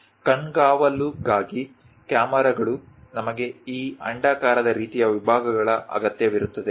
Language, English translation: Kannada, For surveillance, cameras also we require this elliptical kind of sections